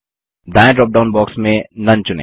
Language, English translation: Hindi, In the right drop down box, select none